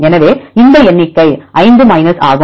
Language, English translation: Tamil, So, this number will be 5 minus